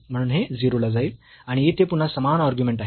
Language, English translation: Marathi, So, this will go to 0 and here again the same argument